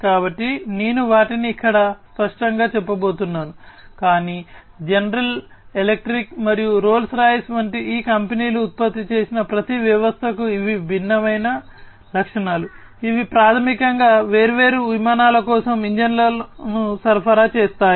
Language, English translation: Telugu, So, I am not going to mention them over here explicitly, but these are the different features for each of the systems that are produced by these companies like general electric and Rolls Royce, who basically supply the engines for the different aircrafts